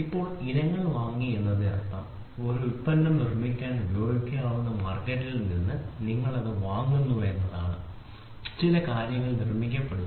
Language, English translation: Malayalam, And before; so now bought out items means you buy it from the market which can be used to produce a product, certain things are manufactured